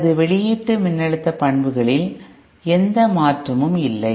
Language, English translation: Tamil, There is no change in my output voltage characteristics